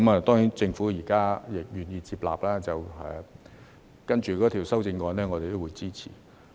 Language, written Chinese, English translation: Cantonese, 當然，政府現在願意接納，稍後的修正案我們也會支持。, Of course the Government is now willing to take on board his suggestion and we will support the amendments subsequently